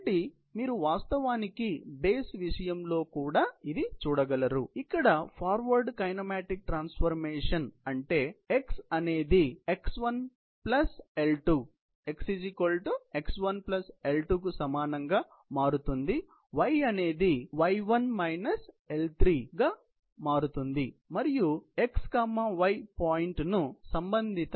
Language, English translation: Telugu, So, that is how you can actually see with respect to the base as well, but the forward kinematic transformation here, means x becomes equal to x1 plus L2, and y becomes equal to y1 minus L3, and that is how you can actually read out the point x, y with respective x 1 y 1